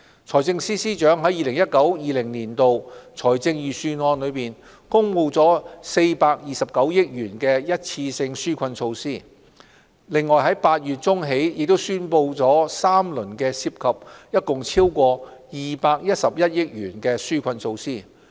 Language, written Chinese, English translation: Cantonese, 財政司司長在 2019-2020 年度財政預算案公布了429億元的一次性紓困措施，由8月中起亦宣布了三輪涉及共超過211億元的紓困措施。, The Financial Secretary announced one - off relief measures costing 42.9 billion in the 2019 - 2020 Budget followed by three rounds of relief measures costing more than 21.1 billion in mid - August